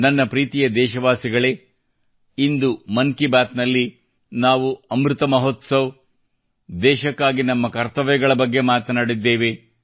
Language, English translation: Kannada, My dear countrymen, today in 'Mann Ki Baat' we talked about 'Amrit Mahotsav' and our duties towards the country